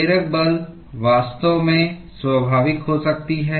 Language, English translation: Hindi, The driving force may actually be natural